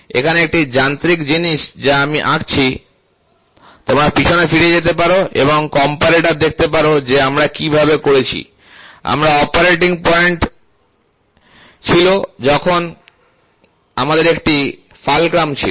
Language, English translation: Bengali, So, here is a mechanical thing which I draw, so you can go back and see in comparator how did we do, we had operating point then we had a fulcrum